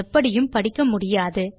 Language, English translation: Tamil, They are not readable in any way